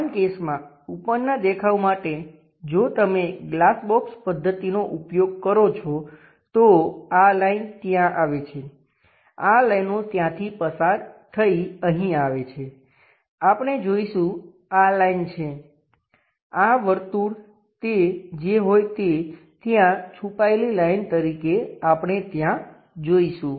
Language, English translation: Gujarati, For the top view for the same case if you are going to use glass box method; this line comes there, these lines goes via that here there is here again we will see this there is a line, this circle whatever that circle as a hidden line maps there we will see there